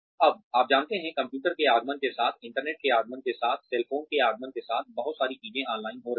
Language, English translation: Hindi, Now, you know, with the advent of computers, with the advent of the internet, with the advent of cell phones, a lot of things are happening online